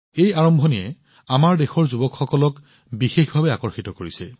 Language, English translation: Assamese, This beginning has especially attracted the youth of our country